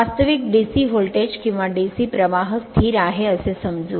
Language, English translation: Marathi, Actually DC voltage or DC current means suppose it is remains constant